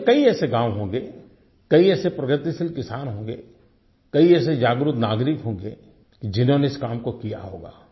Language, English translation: Hindi, There must be many such villages in the country, many progressive farmers and many conscientious citizens who have already done this kind of work